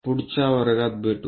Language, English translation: Marathi, See you in the next class